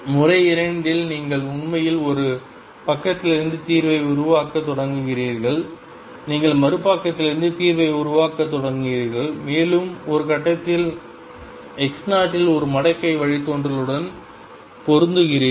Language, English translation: Tamil, In method 2, you actually start building up the solution from one side you start building up the solution from the other side and you match a logarithmic derivative at some point x 0 once that matches that gives you the Eigen value